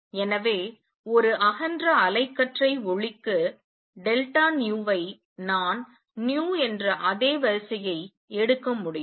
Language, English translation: Tamil, So, for a broad band light I can take delta nu of the same order of as nu